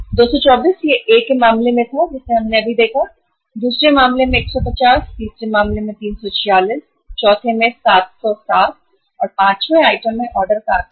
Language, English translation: Hindi, 224 it was in case of A we just saw, 150 in the second case, 346 in the third case, 707 in the fourth and in the fifth item the order size is 1500 units